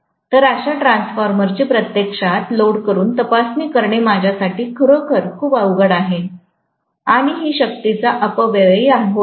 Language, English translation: Marathi, So, it is going to be really really difficult for me to test such a transformer by loading it actually and it will be a huge wastage of power